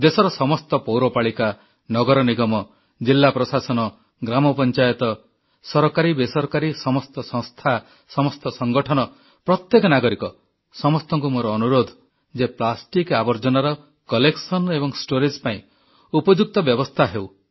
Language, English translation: Odia, I urge all municipalities, municipal corporations, District Administration, Gram Panchayats, Government & non Governmental bodies, organizations; in fact each & every citizen to work towards ensuring adequate arrangement for collection & storage of plastic waste